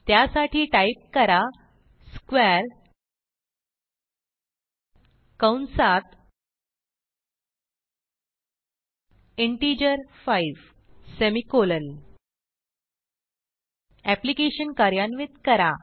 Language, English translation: Marathi, So type square within parentheses an integer 5, semicolon